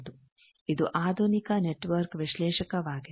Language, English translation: Kannada, So, this is about network analyzer